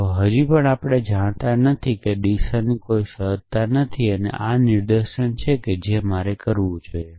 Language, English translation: Gujarati, You still do not know there is no sense of direction saying that this is an inference I should make